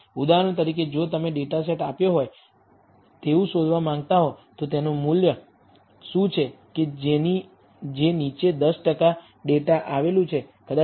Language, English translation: Gujarati, For example, if you want to find given a data set, what is the value below which 10 percent of the data lies, maybe minus 1